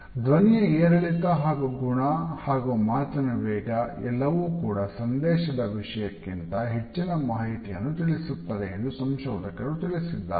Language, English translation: Kannada, Researchers have found that the tone pitch and quality of voice as well as the rate of speech conveys emotions that can be accurately judged regardless of the content of the message